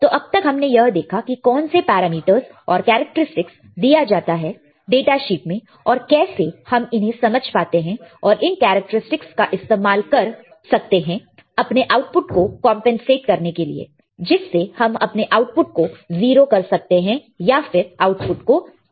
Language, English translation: Hindi, So, what we have seen until now, we have we have seen how the datasheet when we open the datasheet what are the parameters of characteristics given in the data sheet and can we understand how to use these characteristics for our for compensating our output right, for getting our output to be 0 or to make the output null right